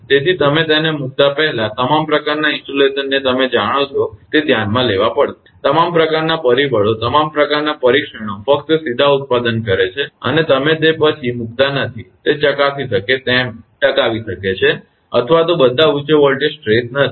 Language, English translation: Gujarati, So, all sort of before you put it in you know installation that you have to consider, that all sort of factors all sort of testing, just directly manufacturing and you are not putting it after that you have to test it whether it can sustain or not all those high voltage stresses